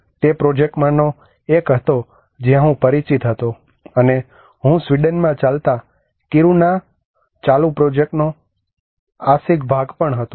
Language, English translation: Gujarati, It was one of the project where I was familiar with, and I was also partly part of the ongoing project of the moving Kiruna in Sweden